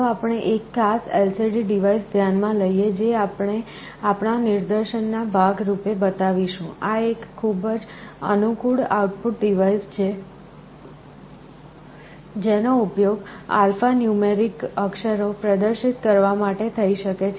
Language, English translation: Gujarati, Let us consider one particular LCD device that we shall be showing as part of our demonstration, this is a very convenient output device, which can be used to display alphanumeric characters